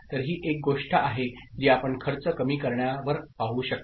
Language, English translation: Marathi, So, this is one thing that you can see on reduction of cost